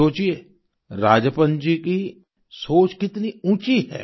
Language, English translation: Hindi, Think, how great Rajappan ji's thought is